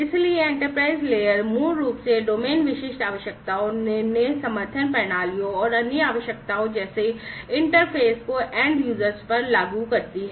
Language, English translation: Hindi, So, the enterprise layer basically implements domain specific requirements, decision support systems, and other requirements such as interfaces to end users